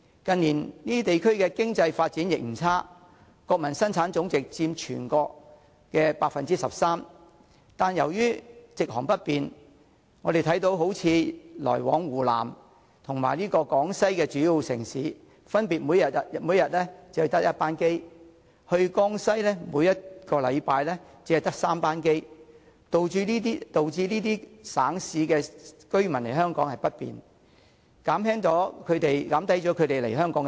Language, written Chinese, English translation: Cantonese, 近年這些地區的經濟發展不差，國民生產總值佔全國 13%， 只是由於直航不便，例如香港每天只有1班客機分別來往湖南和廣西的主要城市，每星期只有3班客機前往江西，導致這些省市的居民想來香港也不方便，減低了他們前來香港的意欲。, In recent years the economic development of these areas is good and their combined Gross National Product represents 13 % of that of the whole country . Since non - stop air service between these places and Hong Kong is inconvenient eg . there is only one direct flight per day between Hong Kong and the main cities of Hunan and Guangxi and three flights per week to Jiangxi even if residents of these provinces and cities wish to visit Hong Kong they would be discouraged